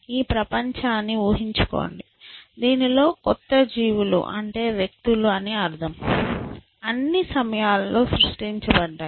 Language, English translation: Telugu, And so, just imagine this world in which new creatures and by creatures I mean individuals, I been created all this time